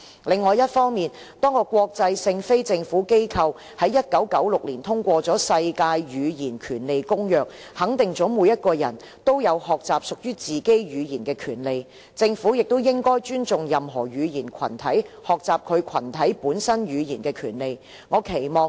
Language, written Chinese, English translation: Cantonese, 另一方面，多個國際性非政府機構在1996年通過了《世界語言權利宣言》，肯定了每個人都有學習屬於自己的語言的權利，政府也應該尊重任何語言群體學習其群體本身語言的權利。, The Government is thus duty - bound to promote the development of sign language . On the other hand a number of international non - government organizations endorsed the Universal Declaration of Linguistic Rights in 1996 which considers learning ones own language a right vested to every person and that governments should respect that members of any language community should have the right to learn the language common to the community